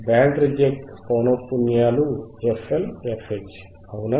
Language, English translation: Telugu, Band Reject band reject is two frequencies FL FH right